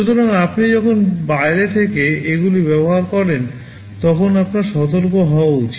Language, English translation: Bengali, So, when you use them from outside you should be careful